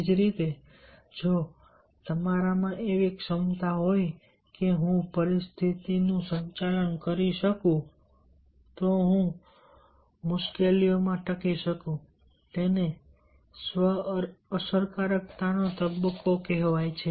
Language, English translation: Gujarati, similarly, if you have the ability in yourself that i can manage the situation, i can survive in difficulties, and that is called the stage of self efficacy